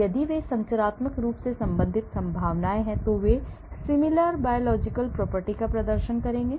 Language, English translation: Hindi, So, if they are structurally related chances are they will exhibit similar biological property